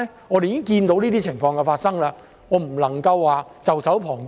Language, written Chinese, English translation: Cantonese, 我們已經看到這些情況發生，絕不能袖手旁觀。, We have seen such situations happen and we cannot stand idly by